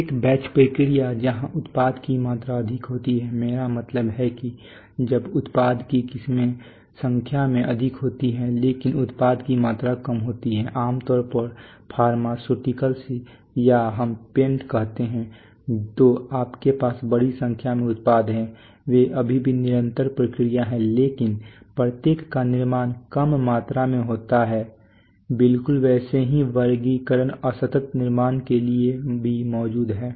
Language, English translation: Hindi, A batch process where the product quantities are more in, I mean when the product varieties are more in number but the product quantities are less typically is pharmaceuticals or let us say paints so you have a large number of products there they are still continuous processes but each gets manufactured in smaller quantities exactly similar categorization exists for discrete manufacturing